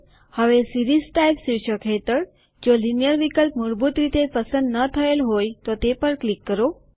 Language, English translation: Gujarati, Now click on the Linear option, under the heading Series type, if it is not selected by default